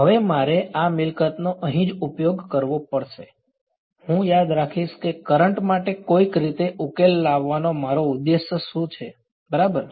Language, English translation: Gujarati, Now I have to use this property over here right, I will remember what my objective is to somehow solve for the current right